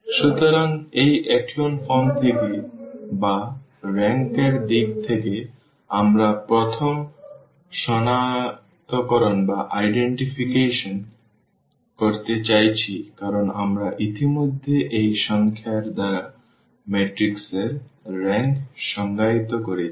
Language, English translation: Bengali, So, that is the first identification we are going to have from this echelon form or in terms of the rank we can define now because we have defined already the rank of the matrix by this number r